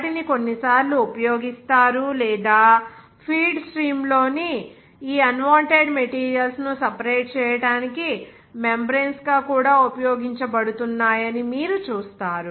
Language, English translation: Telugu, Those are being used or sometime you will see membranes are also being used to separate these unwanted materials in the feed stream